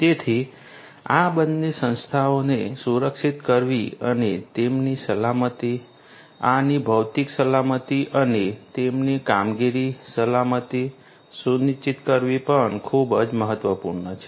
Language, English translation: Gujarati, So, securing both of these entities and ensuring their safety, safety the physical safety and security of these and also their operations is what is very important